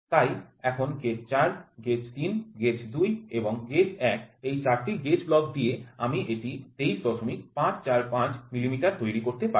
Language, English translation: Bengali, So now with four gauge blocks so, gauge 4 gauge 3 gauge 2 and gauge 1 I could built a this is 23